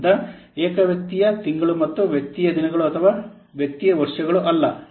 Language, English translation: Kannada, So, why person month and not person days or person years